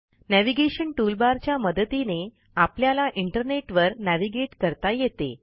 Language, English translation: Marathi, As the name suggests, the Navigation toolbar helps you navigate through the internet